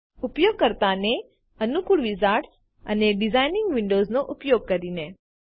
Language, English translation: Gujarati, by using the very user friendly wizards and designing windows